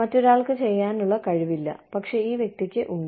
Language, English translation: Malayalam, Somebody else does not, but this person does